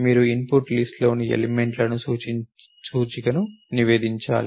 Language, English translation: Telugu, You are suppose to report the index in the element in the input list